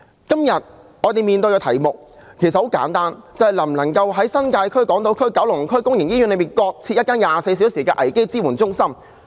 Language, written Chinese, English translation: Cantonese, 今天在我們面前的題目其實很簡單，便是能否在新界區、港島區和九龍區的公營醫院內，各設一間24小時的危機支援中心？, The topic before us today is actually very simple can we set up a 24 - hour CSC in public hospitals respectively in Hong Kong Island Kowloon and the New Territories?